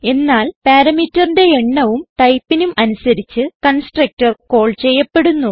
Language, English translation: Malayalam, So depending on the type and number of parameter, the constructor is called